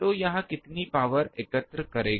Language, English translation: Hindi, So, how much power it will collect